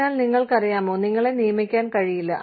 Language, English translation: Malayalam, So, you know, you cannot be hired